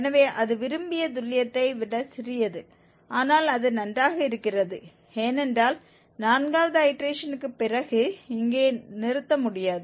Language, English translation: Tamil, So, it is even smaller than the desired accuracy but that is fine because we cannot stop here after fourth iteration